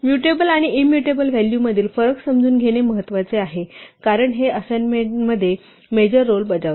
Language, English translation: Marathi, It is important to understand the distinction between mutable and immutable values, because this plays an important role in assignment